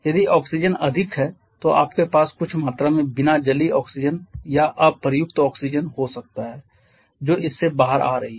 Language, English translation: Hindi, If oxygen is more you may have certain quantity of unburned oxygen or unused oxygen that is coming out of this